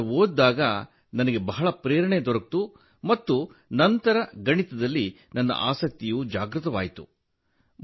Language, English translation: Kannada, When I read that, I was very inspired and then my interest was awakened in Mathematics